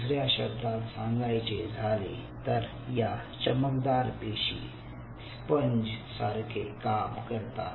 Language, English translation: Marathi, so in other word, those glial cells acts as a sponge